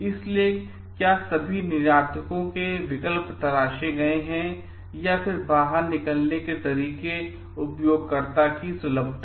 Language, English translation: Hindi, So, whether all exports have been alternatives have been explored, then exit provided, user friendliness